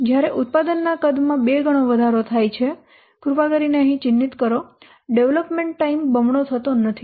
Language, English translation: Gujarati, When the product size increases two times, please mark here the development time does not double it